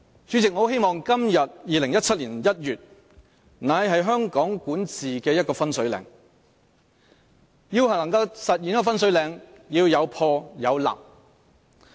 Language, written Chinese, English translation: Cantonese, 主席，我很希望2017年1月的今天會是香港管治的一個分水嶺，而要分水嶺出現，便須有破有立。, President I really do hope that today a day in January 2017 would be a watershed in the history of Hong Kongs governance . To make possible the emergence of a watershed something has to be obliterated while something has to be established